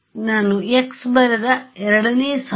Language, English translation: Kannada, The second line I wrote x